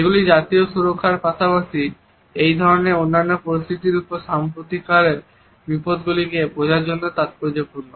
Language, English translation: Bengali, They are also significant for understanding contemporary threats to national security as well as in similar other situation